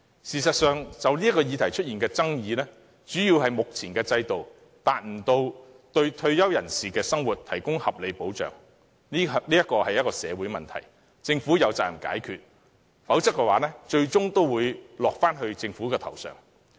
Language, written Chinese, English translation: Cantonese, 事實上，這項議題的爭議，主要是目前的制度無法為退休人士的生活提供合理保障，這是一項社會問題，政府有責任解決，否則後果最終仍會由政府承擔。, In fact the controversy surrounding this question stems mainly from the failure of the existing System to provide reasonable protection for the living of retirees . This is a social problem and the Government is obliged to resolve it or else the Government will have to bear the consequences ultimately